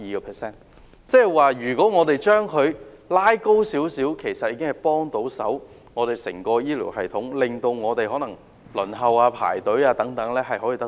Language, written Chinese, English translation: Cantonese, 換言之，如果我們將有關比例提高，其實已經可以紓緩整個醫療系統輪候情況的壓力。, In other words an increase in the relative ratio can actually alleviate the pressure on the waiting time of the entire health care system